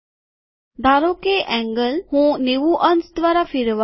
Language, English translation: Gujarati, Suppose angle, I want to rotate by 90 degrees